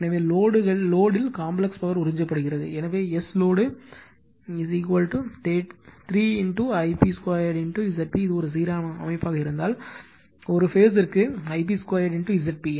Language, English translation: Tamil, So, at the load the complex power absorb is, so S load is equal to 3 I p square into Z p if it is a balanced system, so I p square Z p per phase into 3 right